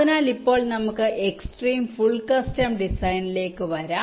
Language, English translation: Malayalam, so now let us come to the extreme: full custom design